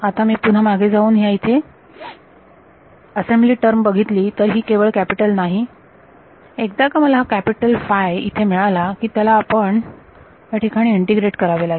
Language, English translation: Marathi, Now if I look back at the assembly term over here, it is not just capital once I get this capital phi over here I have to integrate it over an element